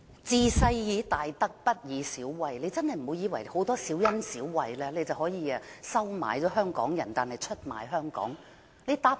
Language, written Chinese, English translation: Cantonese, "治世以大德，不以小惠"，她真的不要以為給予很多小恩小惠，便可以收買香港人，然後出賣香港。, She must not ever think that after offering all these petty favours she can buy the support of Hong Kong people and then sell Hong Kong down the river